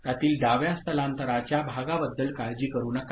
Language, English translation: Marathi, do not worry about the left shift part of it ok